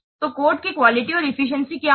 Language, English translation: Hindi, So what will the quality of the code